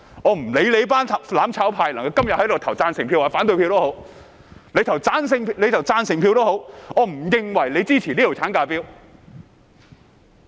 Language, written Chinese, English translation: Cantonese, 我不管"攬炒派"今天投贊成票或反對票，即使他們投贊成票，我也不會認為他們支持這項產假法案。, I do not care whether the mutual destruction camp vote for or against the Bill today . Even if they vote for it I will not believe that they support this maternity leave bill